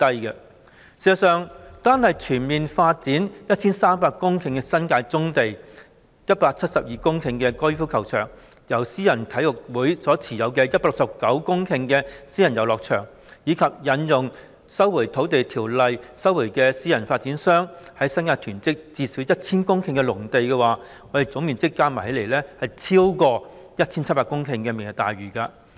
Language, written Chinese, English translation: Cantonese, 事實上，單是全面發展 1,300 公頃的新界棕地、172公頃的高爾夫球場、由私人體育會持有的169公頃私人遊樂場，以及引用《收回土地條例》收回私人發展商在新界囤積的最少 1,000 公頃農地，總面積加起來已遠超推行"明日大嶼願景"可獲得的 1,700 公頃。, In fact if we add together the 1 300 hectares of brownfield sites in the New Territories 172 hectares of golf course and 169 hectares of private recreational lease sites held by private sports clubs and invoke the Land Resumption Ordinance to resume at least 1 000 hectares of agricultural lands in the New Territories hoarded by private developers the total area would far exceed the 1 700 hectares that can be obtained by implementing the Vision